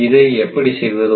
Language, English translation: Tamil, How it operates